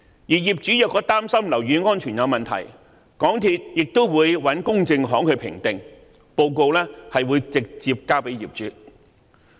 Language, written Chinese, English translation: Cantonese, 如果業主擔心樓宇安全有問題，港鐵公司亦會找公證行作出評定，報告會直接交給業主。, If property owners feel concerned about building safety MTRCL will also arrange for a claims adjuster to carry out assessments and the report will be handed to the property owners concerned direct